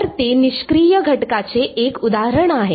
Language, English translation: Marathi, So, that is an example of a passive element